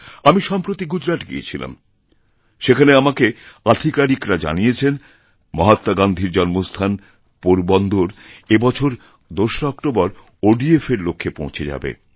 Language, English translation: Bengali, I visited Gujarat recently and the officers there informed me that Porbandar, the birth place of Mahatma Gandhi, will achieve the target of total ODF on 2nd October, 2016